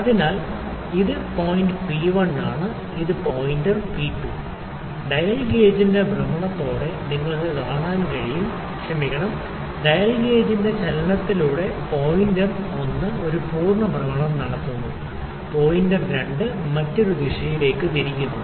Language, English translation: Malayalam, So, this is my point P1 and this is my pointer P2, you can see with rotation of the dial gauge with sorry reciprocating movement of the dial gauge the pointer one is making one full rotation and the pointer two is rotating the in the other direction